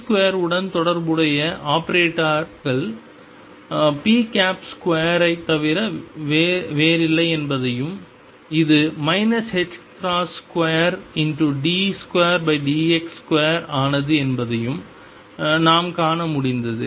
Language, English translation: Tamil, Not only that we could also see that operators corresponding to p square was nothing but p operator square and this became minus h cross square d 2 by dx square